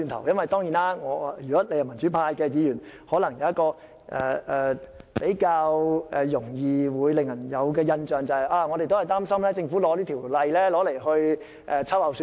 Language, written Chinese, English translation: Cantonese, 如果你是民主派議員，可能比較容易給人的印象是，擔心政府藉此法例秋後算帳。, If you are a pro - democracy Member you would easily give others the impression that you are worrying that the Government may use the legislation for reprisal